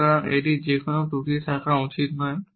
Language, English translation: Bengali, So, it should have no flaws